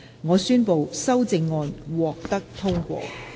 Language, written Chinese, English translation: Cantonese, 我宣布修正案獲得通過。, I declare the amendments passed